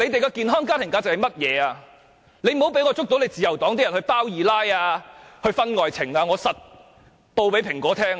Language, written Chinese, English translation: Cantonese, 自由黨的黨員不要被我捉到有人"包二奶"或搞婚外情，我一定會告訴《蘋果日報》。, Do not let me find any member of the Liberal Party keeping a mistress or having extra - marital affairs . Otherwise I will definitely report to the Apple Daily